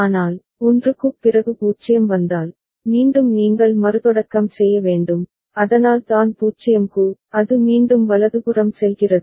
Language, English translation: Tamil, But, after 1 if 0 comes, then again you have to restart ok, so that is why for 0, it is going back to a right